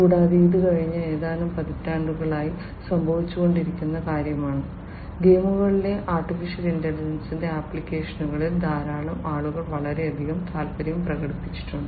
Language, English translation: Malayalam, And, this is something that has happened since last few decades; you know a lot of work has happened, a lot of you know people have taken a lot of interest in the applications of AI in games